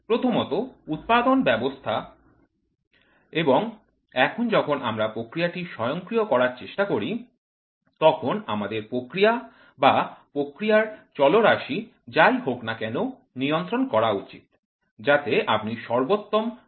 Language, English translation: Bengali, First is producing and now when we try to automate the process, we are supposed to control the process or the process parameters whatever it is, so that you try to get the best efficient product